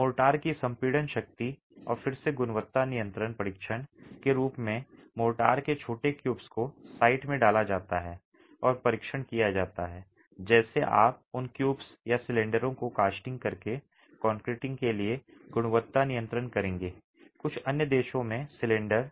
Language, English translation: Hindi, Okay, compressive strength of motor and again as a quality control test small cubes of motor are cast in the site and tested just as you would do quality control for concreting by casting those cubes or cylinders, cylinders in some other countries